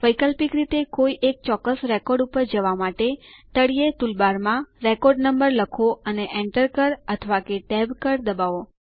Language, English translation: Gujarati, Alternately, to simply go to a particular record, type in the record number in the bottom toolbar and press enter key or the tab key